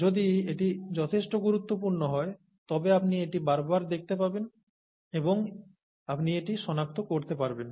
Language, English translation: Bengali, And if it is important enough, then you would be repeatedly exposed to it and you can pick it up